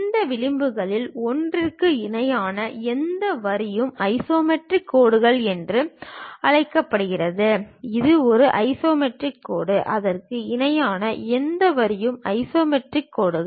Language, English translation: Tamil, Any line parallel to one of these edges is called isometric lines; this is one isometric line, any line parallel to that also isometric lines